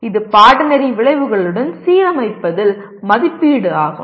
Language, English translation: Tamil, That is assessment in alignment with the course outcomes